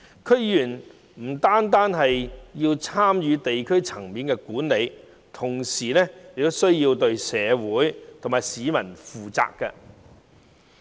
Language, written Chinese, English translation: Cantonese, 區議員不但要參與地區管理，同時也要對社會和市民負責。, Not only do DC members take part in district management they are also held accountable to the community and members of the public